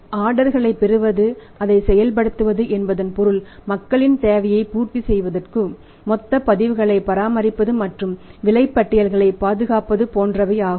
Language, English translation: Tamil, So, to receive the orders pass on the orders means meeting their requirement of the people that maintaining the total records and then preserving the invoices